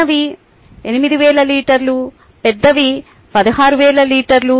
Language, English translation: Telugu, the small ones are about eight thousand liters